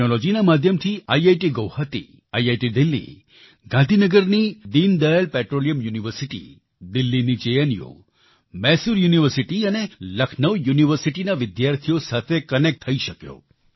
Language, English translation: Gujarati, Through technology I was able to connect with students of IIT Guwahati, IITDelhi, Deendayal Petroleum University of Gandhinagar, JNU of Delhi, Mysore University and Lucknow University